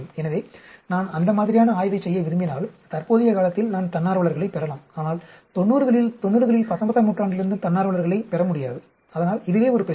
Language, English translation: Tamil, So, if I want to do that sort of study, I may get volunteers in the current age, but I will be not able to get volunteers from the 90s, 90s, 19th, right, so that is a problem